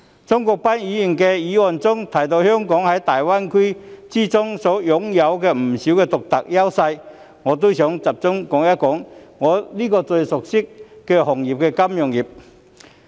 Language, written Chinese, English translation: Cantonese, 鍾國斌議員的議案提到香港在粵港澳大灣區擁有不少獨特優勢，我也想集中談談我最熟悉的行業——金融業。, It is mentioned in Mr CHUNG Kwok - pans motion that Hong Kong has many unique advantages in the Guangdong - Hong Kong - Macao Greater Bay Area GBA . I would like to focus my speech on the industry that I am most familiar with―the financial industry